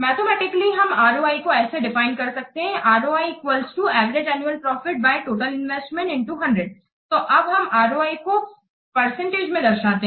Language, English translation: Hindi, The mathematically we can define ROI as like this, the average annual profit divided by total investment into hundreds